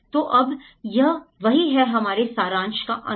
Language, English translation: Hindi, So now, that is the end of the our summary